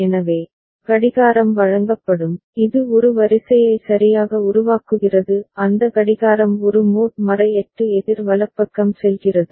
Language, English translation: Tamil, So, clock will be given which is generating the sequence right to a that clock goes to a mod 8 counter right